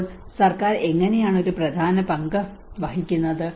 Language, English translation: Malayalam, So how government plays an important role